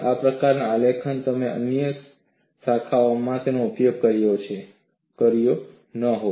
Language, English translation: Gujarati, This kind of graphs you would not have used it in other disciplines